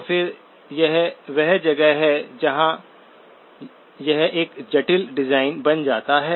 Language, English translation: Hindi, So again, that is where it becomes a complex design